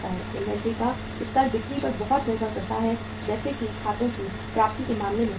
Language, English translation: Hindi, Inventory levels depend heavily upon sales as is the case with the accounts receivables